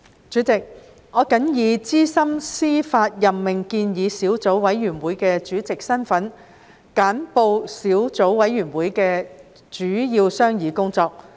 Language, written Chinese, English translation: Cantonese, 主席，我謹以資深司法任命建議小組委員會主席的身份，簡報小組委員會的主要商議工作。, President in my capacity as Chairman of the Subcommittee on Proposed Senior Judicial Appointment I would like to brief Members on the major deliberation of the Subcommittee